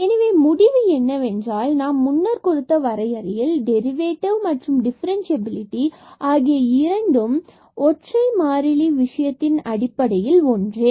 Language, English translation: Tamil, So, the conclusion is that the both the definition what we have given earlier the derivative and the differentiability they are basically the same in case of the single variable